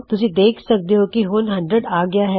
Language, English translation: Punjabi, You can see it has gone to hundred